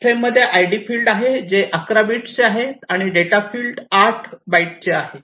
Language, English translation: Marathi, These frames have this id field which is of 11 bits and the data field which is of 8 bytes